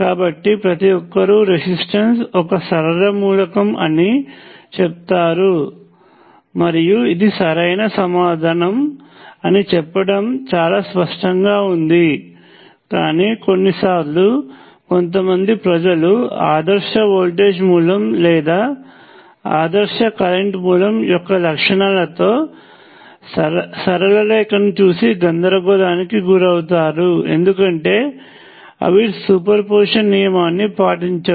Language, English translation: Telugu, So, it is pretty obvious everybody says that resistor is a linear element and that is a correct answer, but sometimes some peoples get confused by straight line characteristics of an ideal voltage source or an ideal current source they are not linear, because they do not obey superposition